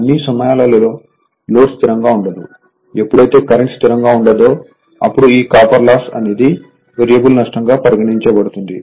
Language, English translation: Telugu, All the time load is not constant; when the current is not constant therefore, this copper loss is a variable loss